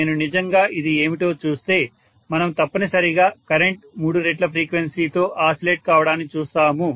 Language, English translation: Telugu, Let me look at it here if I actually look at what is, see we are essentially looking at the oscillation of the current at three times the frequency